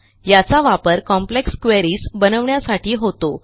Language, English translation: Marathi, This is used to create complex queries